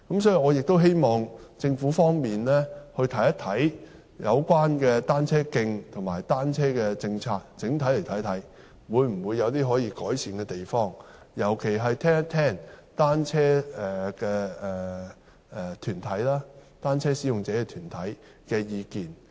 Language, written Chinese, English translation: Cantonese, 所以，我希望政府整體審視有關單車徑及單車的政策有否可以改善的地方，尤其聆聽單車使用者團體的意見。, Therefore I hope the Government will comprehensively review whether its policies on cycle tracks and bicycles can be improved and in particular I hope it will listen to the views of cyclist groups